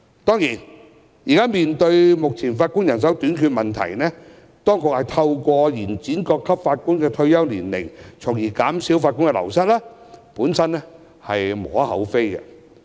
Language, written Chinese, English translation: Cantonese, 當然，面對現時法官人手短缺的問題，當局透過延展各級法院法官的退休年齡，從而減少法官人手流失，是無可厚非的。, Of course in the face of the current manpower shortage of Judges there is no cause for criticism for the authorities to extend the retirement age for Judges at various levels of court so as to reduce the wastage of Judges